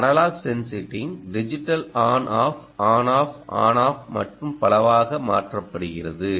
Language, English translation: Tamil, this analogue sensing is, ah, nicely, ah, you know, converted into a digital on off, on off, on off and so on